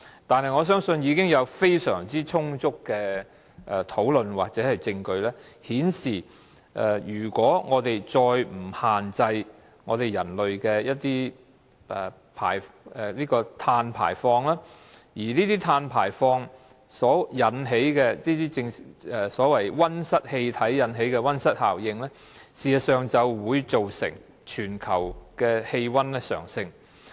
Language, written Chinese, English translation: Cantonese, 但是，我相信已經有非常充足的討論或證據，顯示如果我們再不限制人類的碳排放，碳排放產生的溫室氣體所引起的溫室效應，事實上會造成全球氣溫上升。, Nevertheless there have been adequate discussions and evidence showing that if we do not limit the carbon emission produced by people it will cause greenhouse gas resulting in greenhouse effect which will lead to a rise in global temperature